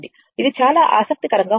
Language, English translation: Telugu, It is very interesting